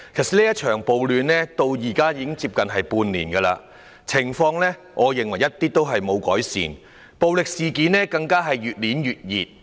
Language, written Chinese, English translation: Cantonese, 這場暴亂至今已持續近半年，我認為情況一點也沒有改善，暴力事件更是越演越烈。, This riot has persisted for nearly half a year . In my view the situation has not seen the slightest improvement . Violent incidents have even grown more rampant